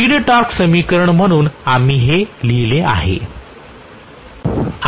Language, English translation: Marathi, This is what we wrote as the speed torque equation, right